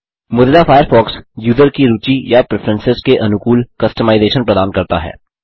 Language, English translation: Hindi, Mozilla Firefox offers customisation to suit the tastes or preferences of the user